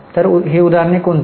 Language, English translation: Marathi, So, what are the examples